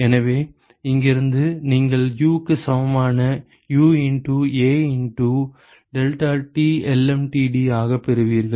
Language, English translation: Tamil, So, from here you get that U equal to U into A into deltaTlmtd